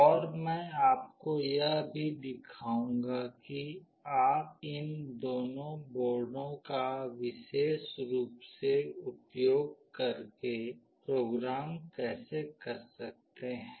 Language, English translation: Hindi, And I will also show you how you can program using these two boards specifically